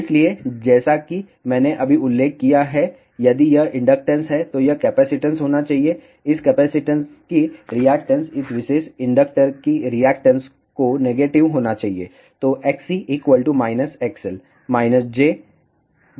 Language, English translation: Hindi, So, as I had just mentioned, if this is inductance this should be capacitance, the reactance of this capacitance should be negative of the reactance of this particular inductor